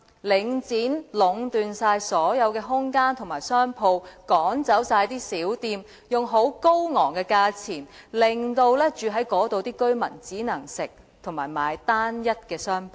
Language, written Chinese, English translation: Cantonese, 領展已壟斷所有空間及商鋪，把小店趕走，用高昂的價錢出租商鋪，致令居住在那裏的居民只可進食及購買單一的商品。, Link REIT has monopolized over all spaces and shops by forcing small shops to move out and charging exorbitant rents . As a result residents there are bound to consume standardized food and buy monotonized commodities only